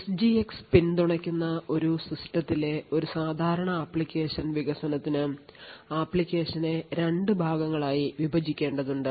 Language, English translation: Malayalam, So a typical application development on a system which has SGX supported would require that you actually split the application into two parts